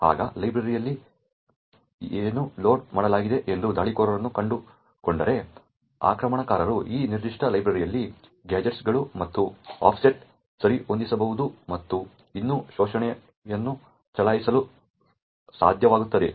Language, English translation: Kannada, Now, if the attacker finds out where the library is loaded then the attacker could adjust the gadgets and the offsets within this particular library and still be able to run the exploit